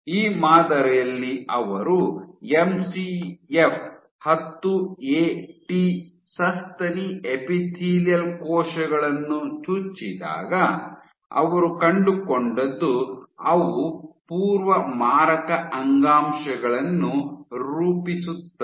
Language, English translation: Kannada, So, in this model, when they injected MCF 10AT mouse embryonic sorry mammary epithelial cells, what they find is these guys form pre malignant tissues